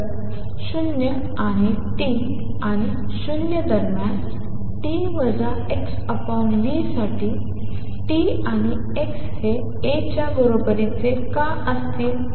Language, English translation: Marathi, So, why t and x would be equal to A for t minus x over v between 0 and T and 0 otherwise